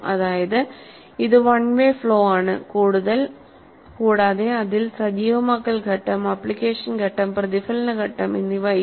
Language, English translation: Malayalam, That means it is a one way of flow and there is no activation phase, there is no application phase, there is no reflection phase